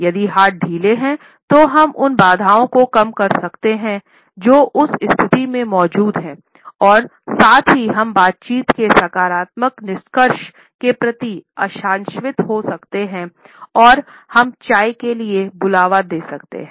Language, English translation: Hindi, Only if the hands are loose we can mitigate the barriers which exists in that situation as well as can be hopeful of a positive conclusion of the dialogue we can call for a tea break